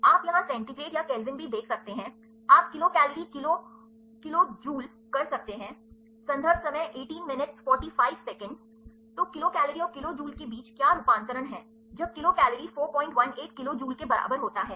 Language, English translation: Hindi, You can see centigrade or Kelvin here also, you can is kilo kcal kilo jule so, so, what is the conversion between kilo kcal and kilo jule right, when kilo kcal equal to 4